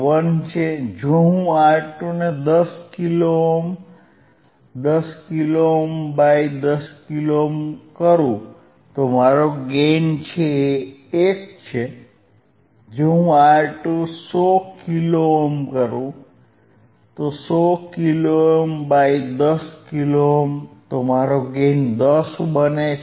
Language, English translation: Gujarati, 1, if I make R 2 equals to 10 kilo ohm, 10 kilo ohm by 10 kilo ohm, my gain is 1, if I make R 2 100 kilo ohm , 100 kilo ohm by 10 kilo ohm, my gain becomes 10, right